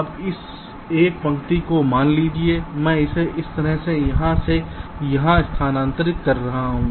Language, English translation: Hindi, now suppose this one of this lines i can move it to here from here, like this